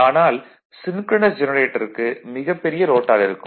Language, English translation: Tamil, Synchronous generator may have a very long rotor right